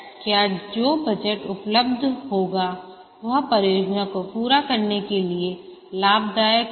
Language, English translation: Hindi, Whether the budget that would be available would be profitable to carry out the project